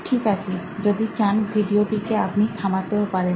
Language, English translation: Bengali, Okay, you can even pause the video if you want